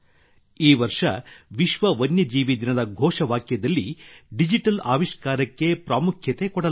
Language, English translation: Kannada, This year, Digital Innovation has been kept paramount in the theme of the World Wild Life Day